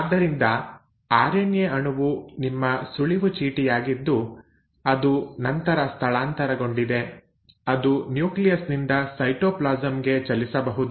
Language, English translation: Kannada, So RNA molecule was your cue card which then moved, can move from the nucleus into the cytoplasm